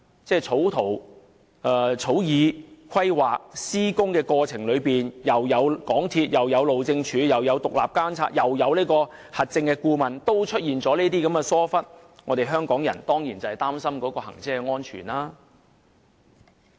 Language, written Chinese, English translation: Cantonese, 即使在草擬圖則、規劃以致施工的過程中，港鐵公司、路政署、獨立監察和核證顧問均有參與，但也出現上述的疏忽情況，香港人當然會擔心高鐵的行車安全。, Worse still even though MTRCL the Highways Department as well as the independent monitoring and certification consultants were all involved from the drafting of the Outline Zoning Plans to planning and construction the above negligence still occurred . Hong Kong people are naturally worried about the safety of XRL